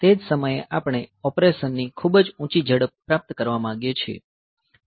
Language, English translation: Gujarati, At the same time we want to achieve very high speed of operation